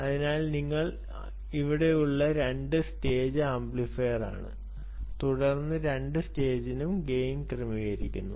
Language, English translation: Malayalam, student, yes, so it's a two stage amplifier that you have here and then these, both the stage gains, are being adjusted